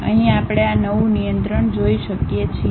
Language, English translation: Gujarati, Here we can see this New control